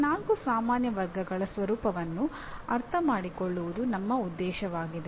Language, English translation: Kannada, That is the understanding the nature of these four general categories is our objective